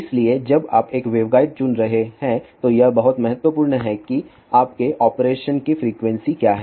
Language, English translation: Hindi, So, again when you are choosing a waveguide it is very important what is your frequency operation